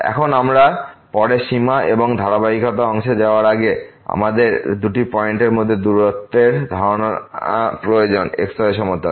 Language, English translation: Bengali, Now, before we move to the limit and continuity part later on, we need the concept of the distance between the two points in plane